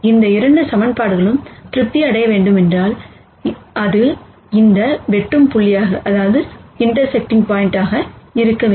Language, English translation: Tamil, Then if both of these equations have to be satisfied, then that has to be this intersecting point